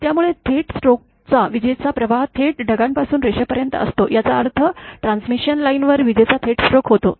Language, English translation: Marathi, So, and in the direct stroke the lightning current path is directly from the cloud to the line; that means, there is a direct lightning stroke on the transmission line